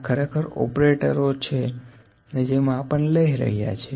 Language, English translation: Gujarati, This is actually the operator who is doing the measurements